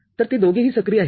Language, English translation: Marathi, So, both of them are active